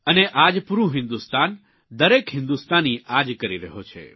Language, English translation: Gujarati, Today the whole of India, every Indian is doing just that